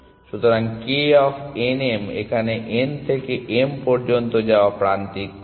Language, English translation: Bengali, So, that k of n m is the cost of that edge going from n to m